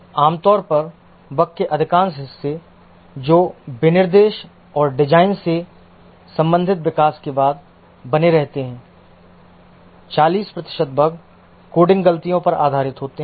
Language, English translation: Hindi, Typically, majority of the bug that remain after development pertain to the specification and design, 40% of the bugs are based on the coding mistakes